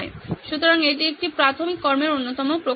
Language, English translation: Bengali, So this is one of the manifestations of preliminary action